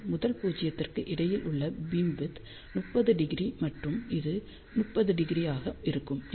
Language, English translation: Tamil, So, beamwidth between the first null will be this 30 degree and this 30 degree